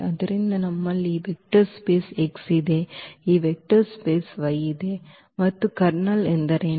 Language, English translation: Kannada, So, we have this vector space X we have this vector space Y and what is the kernel